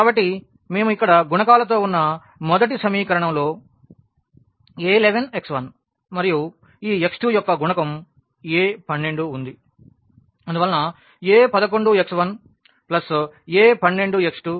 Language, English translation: Telugu, So, this is the first equation where we have the coefficients here a 1 1 x 1 and this coefficient of x 2 is a 1 2 and so on; a 1 and r x n is equal to b 1